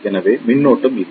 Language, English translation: Tamil, So, there is no current